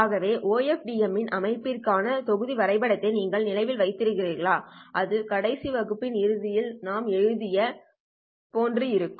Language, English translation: Tamil, So if you remember the block diagram for the OFDM system that looked something like this which we wrote at the end of the last class